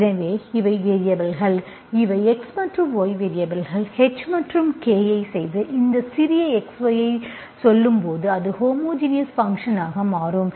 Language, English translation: Tamil, So these are the variables, these are the X and Y are the variables, H and K, you choose H and K in such a way that when you say to these small x, y into this, it will become homogeneous function